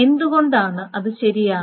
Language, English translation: Malayalam, Why is that correct